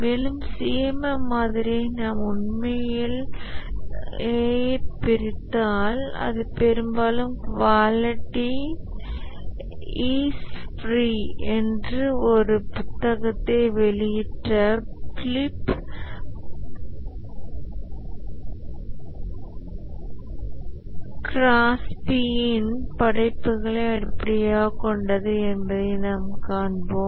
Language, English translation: Tamil, And the CMM model if we really dissect it, we'll find that it's largely based on the work of Philip Crosby who had published a book called as Quality is Free